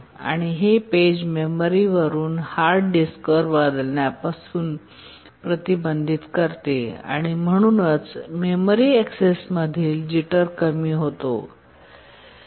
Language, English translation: Marathi, It prevents the page from being swapped from the memory to the hard disk and therefore the jitter in memory access reduces